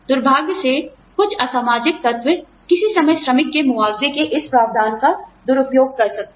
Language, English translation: Hindi, Unfortunately, some unscrupulous elements, at some time, may tend to misuse this provision of worker